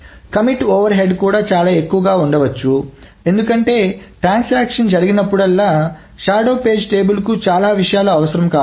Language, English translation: Telugu, The commit overhead also may be too high because lots of things may be needed to the shadow page table whenever a transaction commits